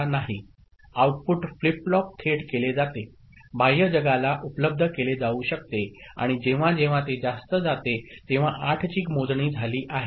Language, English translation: Marathi, The output flip flop directly is made, can be made available to the outside world and whenever it goes high the means count of 8 has taken place